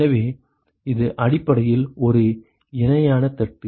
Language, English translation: Tamil, So, it is a essentially a parallel plate